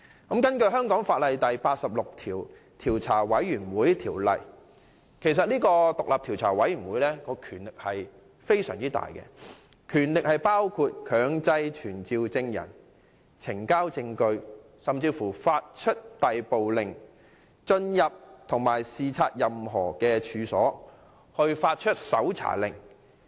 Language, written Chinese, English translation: Cantonese, 根據香港法例第86章《調查委員會條例》，調查委員會的權力很大，可以強制傳召證人、要求呈交證據、發出逮捕令，以及就進入及視察任何處所發出搜查令等。, Under the Commissions of Inquiry Ordinance Cap . 86 a commission of inquiry shall have great powers . It may summon witnesses require the giving of evidence issue arrest warrants issue search warrants for the entry and inspection of any premises so on and so forth